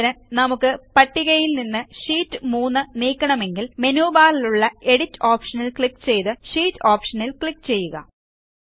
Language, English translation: Malayalam, For example if we want to delete Sheet 3 from the list, click on the Edit option in the menu bar and then click on the Sheet option